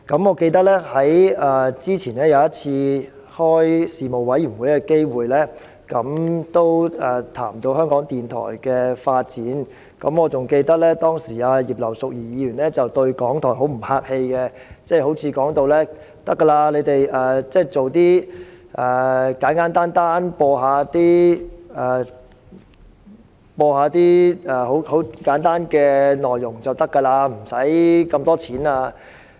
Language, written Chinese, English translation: Cantonese, 我記得在早前一次事務委員會會議上，我們也談及香港電台的發展，當時葉劉淑儀議員對港台十分不客氣，她似乎認為港台只須播放一些簡單內容，無需那麼多撥款。, I recall that at an earlier meeting of the Panel we discussed the development of Radio Television Hong Kong RTHK . At that time Mrs Regina IPs attitude towards RTHK was less than courteous . She seemingly considered that RTHK merely needed to broadcast some simple content and would not need much funding